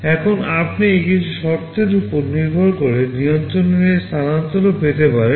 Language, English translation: Bengali, Now you can also have this transfer of control depending on some condition